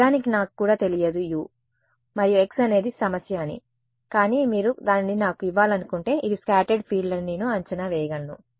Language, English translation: Telugu, Actually I don't even know U and x that is the problem, but if you want to give it to me I can tell you I can predict that this should be the scattered field